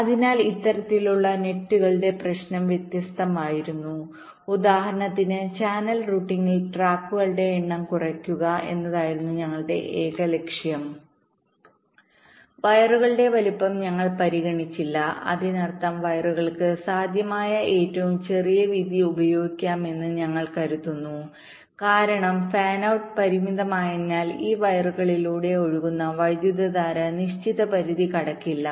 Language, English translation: Malayalam, our sole objective was to minimize the number of tracks, for example in channel routing, and we did not consider the sizing of the wires, which means we assume that we can use this smallest possible width for the wires because fan out is limited and the current flowing through these wires will not cross certain limit